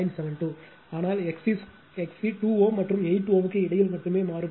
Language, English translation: Tamil, 72, but x C only variable between 2 and 8 ohm